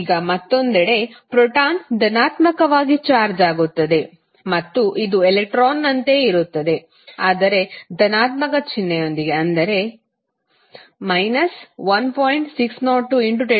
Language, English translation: Kannada, Now, proton is on the other hand positively charged and it will have the same magnitude as of electron but that is plus sign with 1